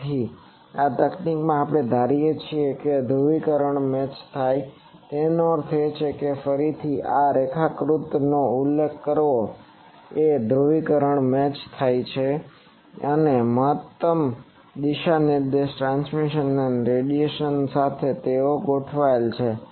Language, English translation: Gujarati, So, in this technique we assume that polarization is matched, that means again referring to this diagram that polarization is matched and maximum directional transmission and radiation they are aligned with